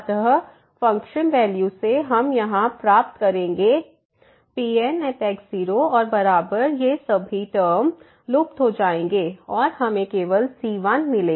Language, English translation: Hindi, So, from the functional value we will get here and is equal to all these terms will vanish and we will get only